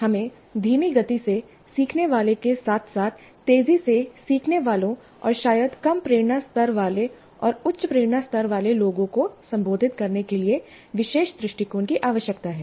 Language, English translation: Hindi, So we need special approaches to address slow learners as well as fast learners and probably those with low motivation levels and those with high motivation levels